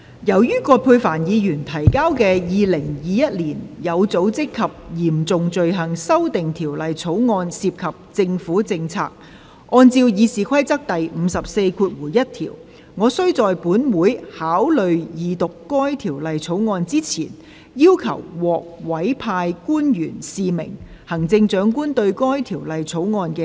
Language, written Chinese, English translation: Cantonese, 由於葛珮帆議員提交的《2021年有組織及嚴重罪行條例草案》涉及政府政策，按照《議事規則》第541條，我須在本會考慮二讀該條例草案之前，要求獲委派官員示明行政長官對該條例草案的書面同意。, As the Organized and Serious Crimes Amendment Bill 2021 presented by Ms Elizabeth QUAT relates to Government policies I shall in accordance with Rule 541 of the Rules of Procedure call for the signification of the written consent of the Chief Executive by a designated public officer before this Council enters upon consideration of the Second Reading of the Bill